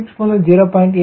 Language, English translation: Tamil, equal to zero